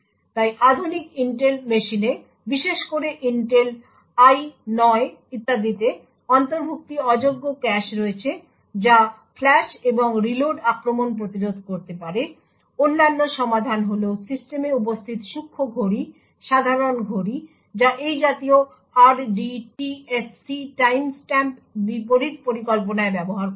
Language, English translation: Bengali, So modern Intel machine especially from Intel I9 and so on have non inclusive caches which can prevent the flush and reload attacks, other solutions are by fuzzing clocks present in the system, typical clock that is used in such schemes the RDTSC timestamp counter